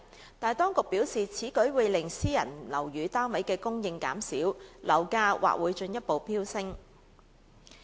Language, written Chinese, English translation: Cantonese, 然而，當局表示，此舉會令私人樓宇單位的供應減少，樓價或會進一步飆升。, However the authorities said such proposal would reduce the supply of private flats which might fuel another round of property price hike